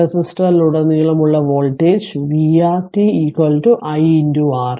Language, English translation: Malayalam, So, voltage across the resistor is v R t is equal to i into R